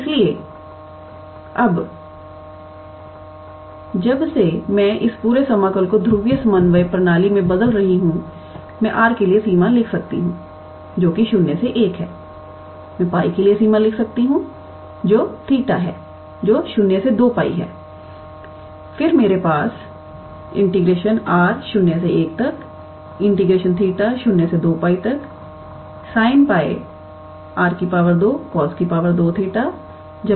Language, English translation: Hindi, So, now, since I am transforming this whole integral into polar coordinate system, I can write the range for r which is 0 to 1, I can write range for pi which is a theta which is 0 to 2 pi and then I have sin pi x square plus y square; x square plus y square is r cos theta r square cos square theta plus r square sin square theta and